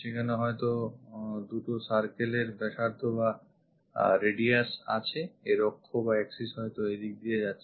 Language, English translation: Bengali, These are two circles having radius may axis is passing in that way, axis is passing in that way